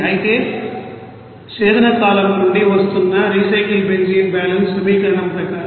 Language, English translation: Telugu, whereas the recycle benzene that is coming from distillation column it is 189